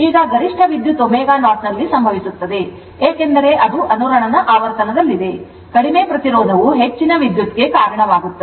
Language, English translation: Kannada, Now, maximum current occurs at omega 0 because, that is at resonance frequency right, a low resistance results in a higher current